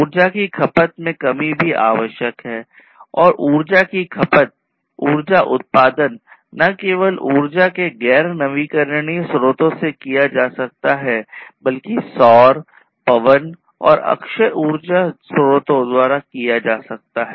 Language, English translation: Hindi, So, reduction in energy consumption is also required and energy consumption, energy production can be done not only from the non renewable sources of energy, but also from the renewable ones like solar, wind, and so on